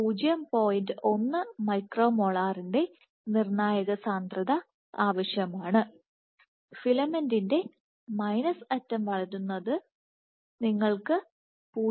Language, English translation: Malayalam, 1 micro molar versus for the filament to grow at the minus end you require 0